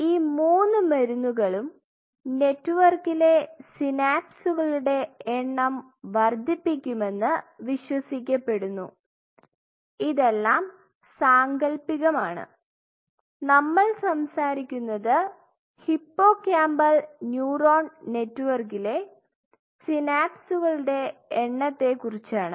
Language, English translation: Malayalam, So, it is believed that all these three drugs increase the number of synapses in a network, this is all hypothetical we are talking about number of synapses in a hippocampal neuron network, in other word what will be